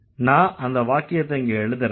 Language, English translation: Tamil, I'm going to write the sentence here